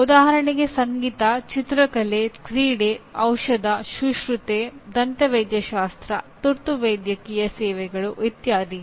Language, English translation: Kannada, Music for example, painting, sports, medicine, nursing, dentistry, emergency medical services etc